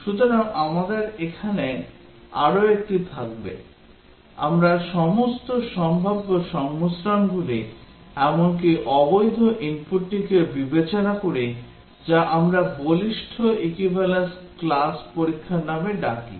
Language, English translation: Bengali, So we will have one more here, we consider all possible combinations the input even the invalid once that we call as Strong Robust Equivalence class testing